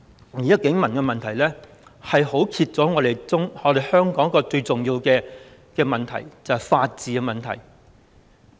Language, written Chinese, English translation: Cantonese, 現時警民的問題，揭開了香港一個最重要的問題，就是法治的問題。, The current problem between police and civilians has revealed a problem of utmost importance in Hong Kong namely the problem with the rule of law